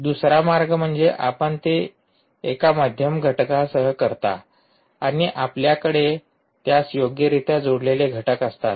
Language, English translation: Marathi, the second way is you do it with one middle entity and you have entities which are connected to it